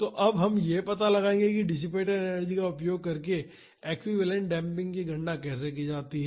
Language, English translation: Hindi, So, now we will find out how to calculate the equivalent damping using the energy dissipated